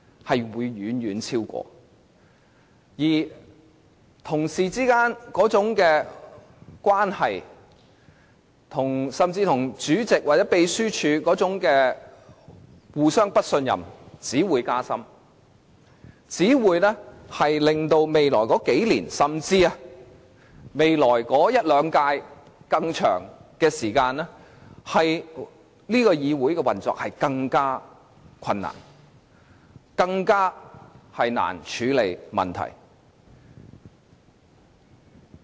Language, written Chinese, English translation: Cantonese, 此外，議員之間，甚至是議員與主席或秘書處之間的互不信任只會加深，令本會的運作在未來數年、一兩屆甚或長遠而言變得更困難，更難處理問題。, In addition the distrust among Members and even the distrust between Members and the President or the Secretariat will only deepen thus making it even more difficult for this Council to function and deal with problems in the next few years in the next one or two terms and even in the long run